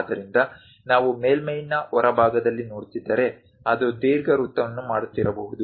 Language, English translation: Kannada, So, if we are looking at on the exterior of the surface, it might be making an ellipse